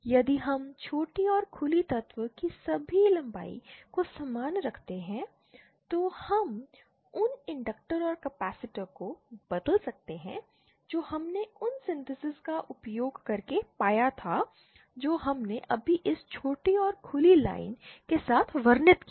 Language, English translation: Hindi, If we keep all the lengths of the short and open element same then we can replace the inductors and capacitors that we found using those synthesis that we described just now with this short and open line